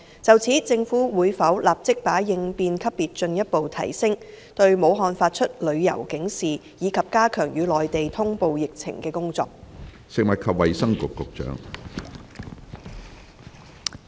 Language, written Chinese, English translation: Cantonese, 就此，政府會否立即把應變級別進一步提升、對武漢發出旅遊警示，以及加強與內地通報疫情的工作？, In this connection will the Government immediately raise the response level further issue a travel alert for Wuhan and step up the work on epidemic notification with the Mainland?